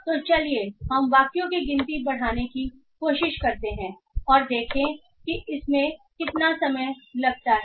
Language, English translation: Hindi, So let us try to increase the count of sentences and see how much more time it takes almost double the size